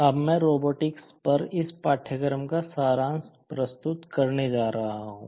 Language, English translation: Hindi, Now, I am going to summarize of this course on Robotics